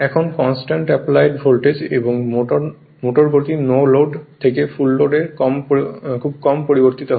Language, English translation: Bengali, At constant applied voltage and motor speed varies very little from no load to full load not much change in the no load to full load